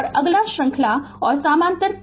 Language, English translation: Hindi, Next is series and parallel inductors right